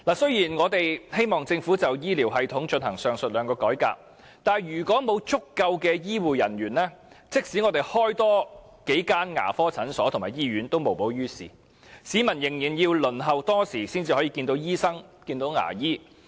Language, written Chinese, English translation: Cantonese, 雖然我們希望政府就醫療系統進行上述兩項改革，但如果沒有足夠的醫護人員，即使增設多數間牙科診所和醫院也無補於事，市民仍須輪候多時才能見到醫生和牙醫。, We do hope that the Government would carry out the above two reforms on our health care system but without adequate health care personnel it does not help to improve the situation even though several more dental clinics and hospitals are provided because patients will still be required to wait for a long time before they can see doctors and dentists